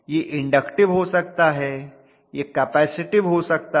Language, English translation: Hindi, It can be inductive; it can be a capacitive